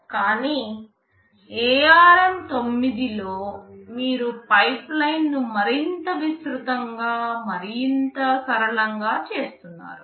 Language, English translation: Telugu, But in ARM 9, you are making the pipeline more elaborate and more flexible